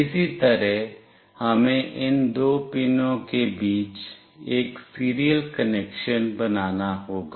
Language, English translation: Hindi, Similarly, we have to build a serial connection between these two pins